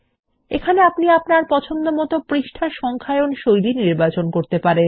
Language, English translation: Bengali, Here you can choose the page numbering style that you prefer